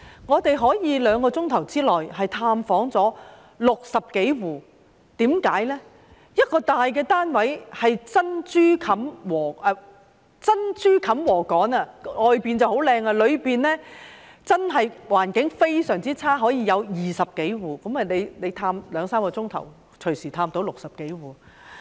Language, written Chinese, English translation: Cantonese, 我們竟在兩小時內探訪了60多戶，一個大單位裏是珍珠冚禾稈，即是外面看來很好，但內裏環境非常差，當中竟居住了20多戶，所以兩三小時便可以探訪了60多戶。, We could manage to visit more than 60 households in two hours . There is a big apartment which can be described as a haystack covered with pearls that is the outside looks very nice but the environment inside is very poor and there are more than 20 households living in it . Hence we could visit more than 60 households in two to three hours